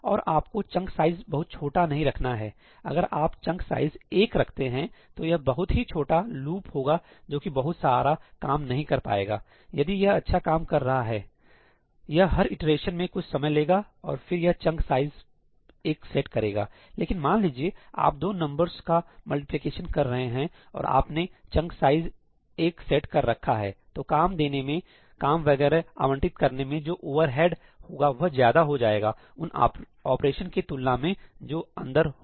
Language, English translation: Hindi, And you do not want to make the chunk size too small also ; if you make it a chunk size of 1 or something, and let us say that it is a very small loop which does not do a whole lot of work if it is doing some considerable amount of work, it is taking sometime within each iteration, then it is to set a chunk size of 1 but if, let us say, all you are doing is a multiplication of two numbers and you are setting a chunk size of 1, the overhead of giving the work, allocating the work and so on, is going to be more than the operations being performed inside